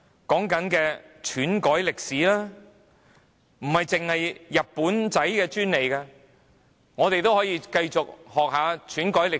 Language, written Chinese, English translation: Cantonese, 說的是篡改歷史，這不單是日本人的專利，我們也可以繼續學習篡改歷史。, We will talk about distortion of history which is not the sole patent of the Japanese . We can also continue to learn how to distort history